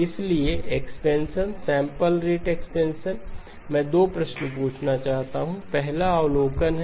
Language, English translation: Hindi, So expansion, sampling rate expansion, I want to ask 2 questions, first is an observation